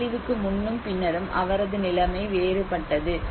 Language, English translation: Tamil, His situation is different before disaster and after disaster